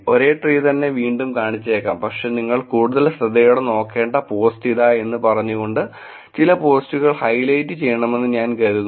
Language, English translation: Malayalam, It could be that the same tree could be shown, but I think highlighting some post saying that here is the post that you should look at more carefully